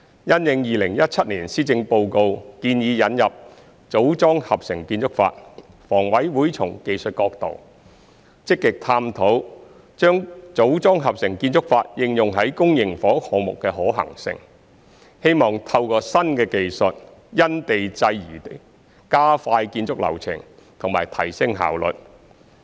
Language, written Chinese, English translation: Cantonese, 因應2017年施政報告建議引入"組裝合成"建築法，房委會從技術角度，積極探討把"組裝合成"建築法應用於公營房屋項目的可行性，希望透過新技術，"因地制宜"加快建築流程及提升效率。, In response to the proposal in the 2017 Policy Address to introduce the modular integrated construction MiC HA has been actively exploring the feasibility of applying MiC in public housing projects from a technical perspective with a view to expediting the construction process and enhancing efficiency through the use of new technology which is site - specific